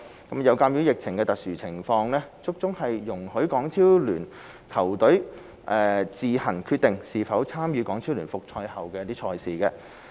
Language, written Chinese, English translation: Cantonese, 有鑒於疫情的特殊情況，足總容許港超聯球隊自行決定是否參與港超聯復賽後的賽事。, In view of the special circumstances of the pandemic HKFA allows HKPL teams to decide on their own whether to continue playing in HKPL matches upon its resumption